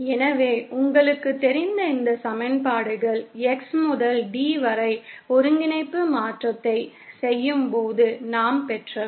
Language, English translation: Tamil, So, these equations you know are what we obtained when we do the coordinate transformation from X to D